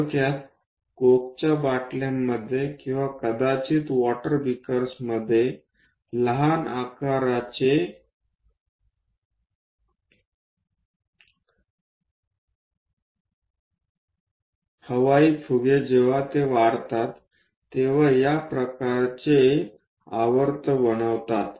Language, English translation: Marathi, Typically, small size air bubbles in coke bottles or perhaps in water beakers when they are rising they make this kind of spirals